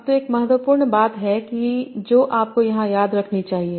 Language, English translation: Hindi, Now, so there is one important thing that you should remember here